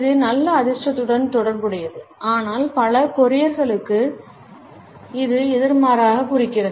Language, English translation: Tamil, It is associated with good luck, but for many Koreans it symbolizes just the opposite